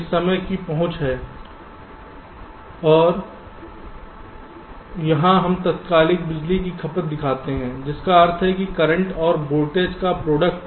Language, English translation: Hindi, this is the access of time and here we show the instantaneous power consumption, which means the, the product of the current and the voltage